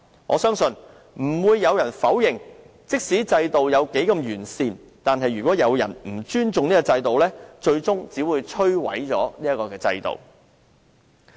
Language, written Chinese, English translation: Cantonese, 我相信沒有人會否認，無論制度多完善，但如果有人不尊重制度，最終只會把它摧毀。, All of these definitely constituted dereliction of duty . I think nobody can deny that a system no matter how perfect it is will only be destroyed eventually if it is not respected by people